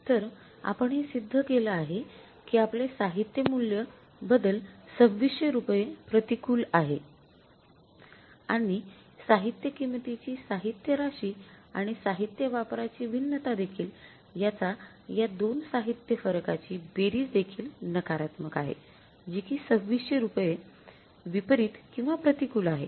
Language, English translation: Marathi, So we have proved it that your material cost variance is unfavorable by rupees, 2,600s and the material sum of the material price and the material usage variance are also, means the sum of these two variances is also negative, that is 2,600s that is unfavorable or adverse